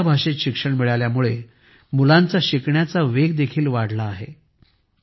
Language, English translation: Marathi, On account of studies in their own language, the pace of children's learning also increased